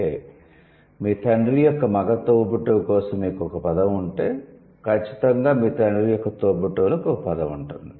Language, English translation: Telugu, That means if you have a word for a male, for your male sibling, for the male sibling of your father, then would definitely have a word for the male sibling of your, the female sibling of your father